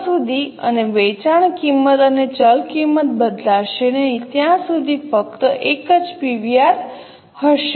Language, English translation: Gujarati, Unless and until the selling price and variable costs don't change, there will be only one PVR